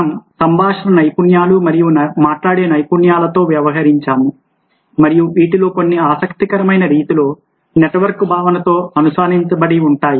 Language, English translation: Telugu, we have adult with conversation skills and speaking skills, and some of these things do get linked to the concept of network in an interesting way